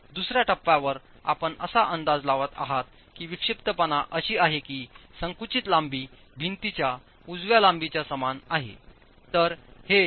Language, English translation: Marathi, The second stage you're estimating that the eccentricities are such that the compressed length is equal to the length of the wall